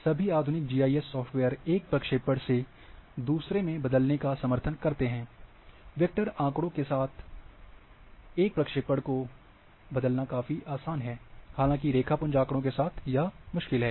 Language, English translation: Hindi, All all modern GIS software supports transforming from one projection to another, transforming projection from one to another with vector data, is rather easier; however, with the raster data it is difficult